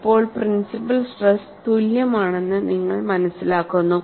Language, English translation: Malayalam, So, now, you find that principle stresses are equal